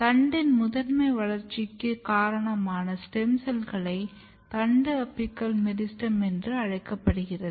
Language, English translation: Tamil, Stem cells which is responsible for primary growth of the shoot and this is called shoot apical meristem